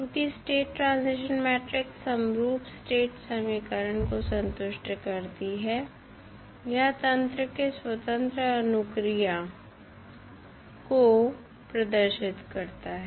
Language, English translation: Hindi, As the state transition matrix satisfies the homogeneous state equation it represent the free response of the system